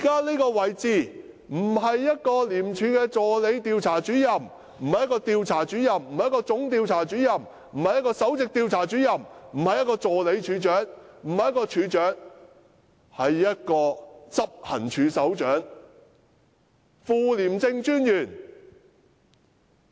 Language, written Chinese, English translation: Cantonese, 這個可不是廉署助理調查主任，或調查主任，或總調查主任，也不是首席調查主任，或助理處長，或處長，而是執行處首長的職位。, What we are talking about is not the post of Assistant Investigator or Investigator or Chief Investigator or Principal investigator or Assistant Director or Director but the post of Head of Operations